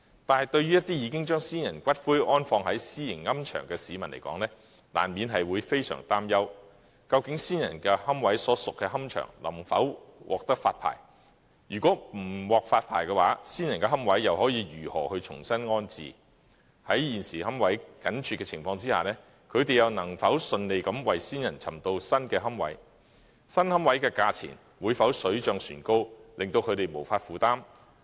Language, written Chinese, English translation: Cantonese, 但是，對於一些已經將先人骨灰安放在私營龕場的市民來說，難免會非常擔憂，究竟安放先人骨灰的龕場能否獲得發牌；如果不獲發牌，先人的骨灰又可如何重新安置；在現時龕位緊絀的情況下，他們又能否順利為先人尋找到新龕位，新龕位的價錢會否水漲船高而令他們無法負擔。, However members of the public would inevitably worried whether the columbaria where the ashes of their ancestors were interred will be granted licenses; if not how to relocate the ashes of the deceased; given the tight supply of niches nowadays whether they can succeed in securing new niches and whether the prices of the new niches will rise proportionately to levels that they cannot afford